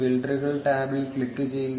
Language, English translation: Malayalam, Click on the filters tab